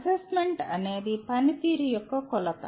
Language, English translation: Telugu, Assessment is a measure of performance